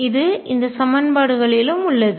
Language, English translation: Tamil, It is also in these equations